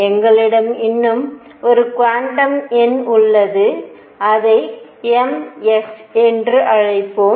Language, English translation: Tamil, So now, we have one more quantum number; let us call it m s, s for a spin